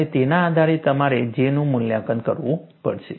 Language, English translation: Gujarati, And based on that, you will have to evaluate J